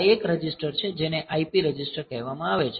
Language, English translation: Gujarati, So, this is the 1 register which is called IP register